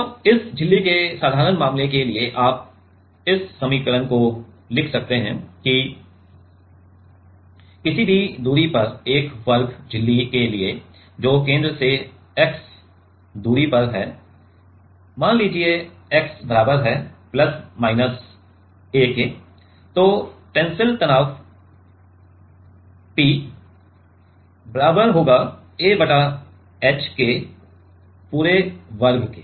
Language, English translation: Hindi, And, for the like simple case you can write this equation that for a square membrane at any distance which is x from the center let us say which is x equal to plus minus a, the tensile stress will be P equal to a minus a by h whole square